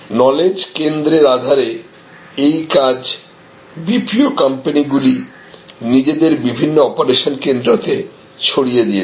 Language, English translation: Bengali, So, on the basis of knowledge centers this work is distributed by the BPO companies among their own different centers of operation